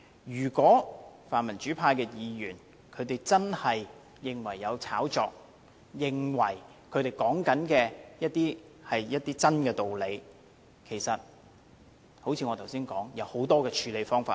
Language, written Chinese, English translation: Cantonese, 如果泛民主派的議員真的認為有操控，認為他們所說的是事實，其實有很多的處理方法。, If Members from the pan - democratic camp really consider that they are telling the truth about the manipulation there are actually many ways to address it